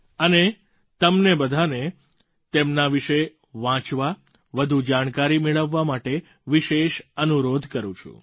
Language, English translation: Gujarati, I urge you to read up about them and gather more information